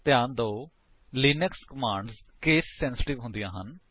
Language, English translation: Punjabi, However note that Linux commands are case sensitive